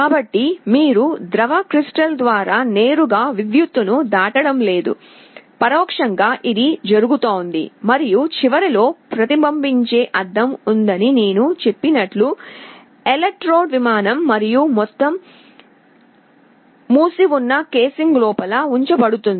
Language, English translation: Telugu, So, you are not directly passing a current through the liquid crystal, indirectly it is happening and as I said there is a reflecting mirror at the end, electrode plane and the whole arrangement is placed inside a sealed casing